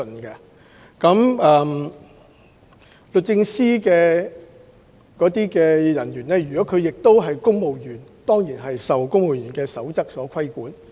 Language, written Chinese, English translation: Cantonese, 該等律政司人員若是公務員，當然亦受《公務員守則》規管。, If those DoJ officers are civil servants they will certainly be bound by the Civil Service Code